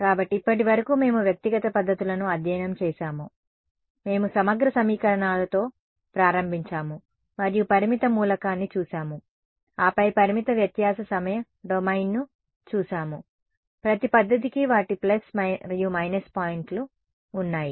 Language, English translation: Telugu, So, far we have studied individual methods we have looked at we started with integral equations and we looked at finite element then we looked at finite difference time domain right each method has their plus and minus points